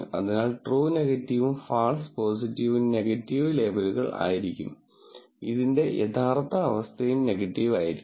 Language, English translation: Malayalam, So, true negative will be negative labels and false positive will also be negative labels, to that is the true condition of these will also be negative